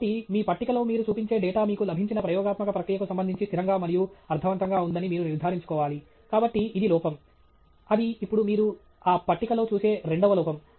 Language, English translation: Telugu, So, you need to ensure that the data that you show on your table is consistent and meaningful with respect to the experimental process that you have got, so therefore that is an error; that is now a second error that you see in this that table